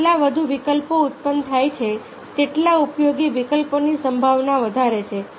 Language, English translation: Gujarati, the more the alternative are generated, the greater the likelihood of useful alternatives